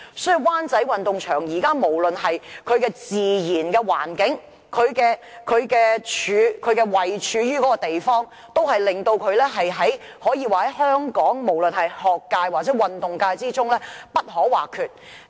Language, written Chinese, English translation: Cantonese, 所以，無論是自然環境或位處的地方，灣仔運動場可說是香港學界或運動界中不可或缺的地方。, Therefore whether judging from the natural environment or the location the Wan Chai Sports Ground is an indispensable place for both the academic field and athletic field